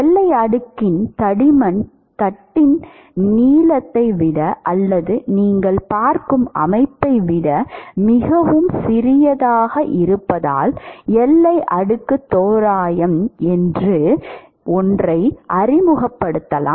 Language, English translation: Tamil, Because the thickness of the boundary layer is much smaller than the length of the plate or the system that you are looking at, we can introduce something called boundary layer approximation